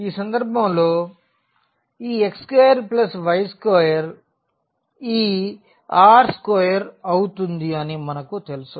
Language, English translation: Telugu, We also know that this x square plus y square in this case will become this r square